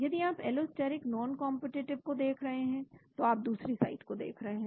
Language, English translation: Hindi, If you are looking at allosteric non competitive, then you look at other sites